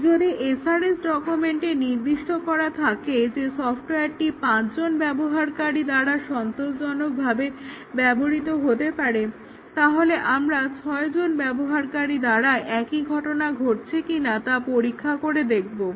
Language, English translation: Bengali, If the SRS document specifies that we could the software could be used by 5 users satisfactorily, we check what happens when there are 6 users, does the software crash or does it gracefully degrade